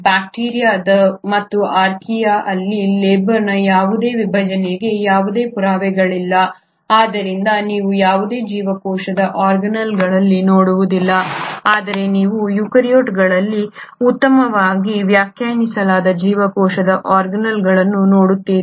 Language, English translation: Kannada, There is no evidence of any division of labour in bacteria and Archaea so you do not see any cell organelles, but you see very well defined cell organelles in eukaryotes